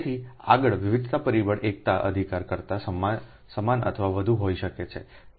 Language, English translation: Gujarati, so next is the diversity factor can be equal or greater than unity, right